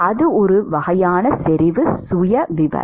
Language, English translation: Tamil, That is the kind of concentration profile